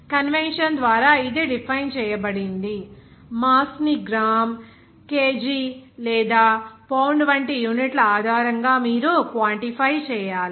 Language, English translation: Telugu, That has been defined by convention like for mass you have to quantify based on the units like gram kg or Pound like this